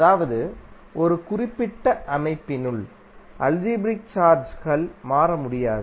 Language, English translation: Tamil, That means that the algebraic sum of charges within a particular system cannot change